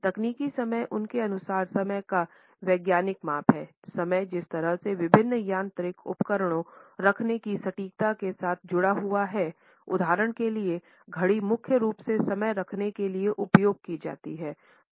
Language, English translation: Hindi, Technical time according to him is the scientific measurement of time which is associated with the precision of keeping the time the way different mechanical devices for example, clock and watches primarily are used to keep time